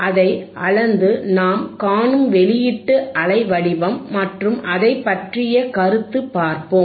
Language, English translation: Tamil, lLet us measure it and let us see what kind of output waveform, we see and let us comment on it, alright